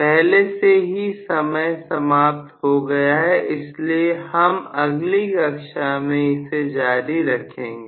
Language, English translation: Hindi, So, already the time is up so we will probably continue with this in the next class